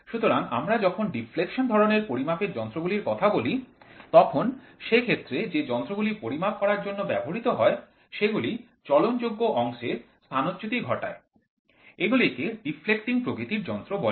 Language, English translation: Bengali, So, when we talk about deflection type measurement instruments, the instruments in which the measured quantity produces physical effects which deflects or displaces the moving system of the instruments is known as the deflecting type instruments